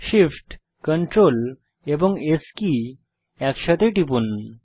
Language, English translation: Bengali, First press Shift, Ctrl and S keys simultaneously